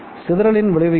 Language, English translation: Tamil, What is the effect of dispersion